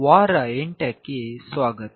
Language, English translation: Kannada, Welcome to week 8